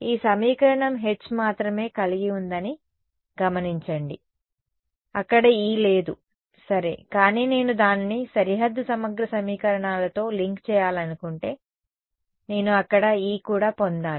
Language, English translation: Telugu, Notice that this equation is consisting only of H there is no E over there ok, but if I want to link it with the boundary integral equations somehow I should also get E over there